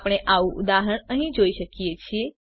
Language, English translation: Gujarati, We can see such an example here